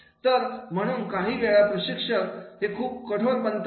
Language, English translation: Marathi, So, therefore sometimes the trainers they become strict